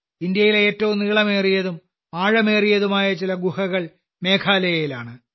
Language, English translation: Malayalam, Some of the longest and deepest caves in India are present in Meghalaya